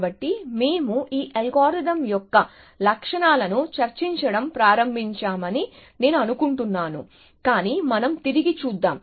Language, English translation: Telugu, So, I think we are started discussing the properties of this algorithm, but let us recap